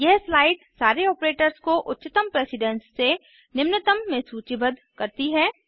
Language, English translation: Hindi, This slide lists all operators from highest precedence to lowest